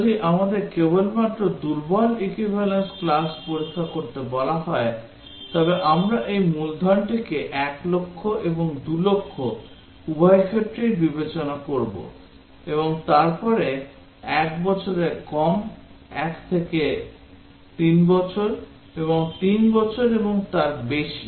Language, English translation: Bengali, If we are asked to do only or if we want to do only weak equivalence class test, then we will consider both these principal 1 lakh and 2 lakh and then both these scenarios of less than 1 year between 1 to 3 year and 3 year and above